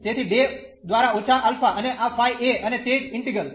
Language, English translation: Gujarati, So, minus alpha by 2 and this phi a and this same integral